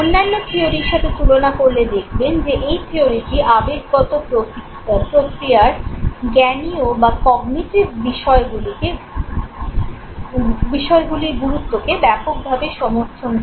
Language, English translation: Bengali, Now compared to other theories, this theory overwhelmingly support the significance of cognitive factors in emotional processes